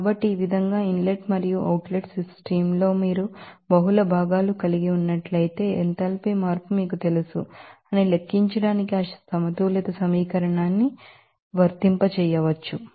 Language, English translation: Telugu, So, in this way, how that energy balance equation can be applied to calculate that you know enthalpy change, if you are having multiple components in the inlet and outlet system